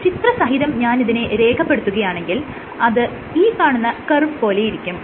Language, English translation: Malayalam, So, if I were to pictorially depicted you would have a curve like this